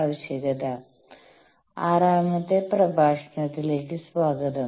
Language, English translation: Malayalam, Welcome to the 6th lecture